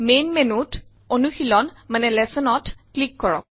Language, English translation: Assamese, In the Main menu, click Lessons